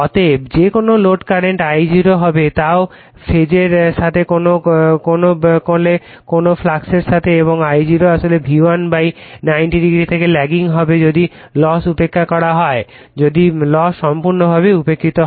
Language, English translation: Bengali, Therefore, that no load current I0 also will be is in phase with your what you call in your what you call with the flux right and I0 actually will lagging from your V1 / your 90 degree if loss is neglected if it is loss is completely neglected right